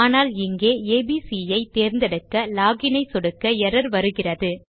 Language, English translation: Tamil, But here when we choose abc and we click log in and we have got an error